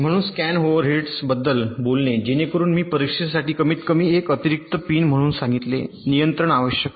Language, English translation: Marathi, ok, so talking about the scan overheads, so, as i said, at least one additional pin for the test control is necessary